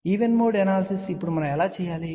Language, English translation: Telugu, So, even mode analysis how do we do it now